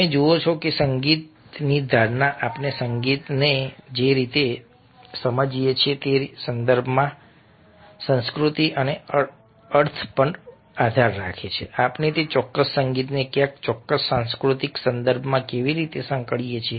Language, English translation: Gujarati, and you see that music perception, the way we understand, perceive music, depends on culture and meaning, how we associate that particular music in which particular context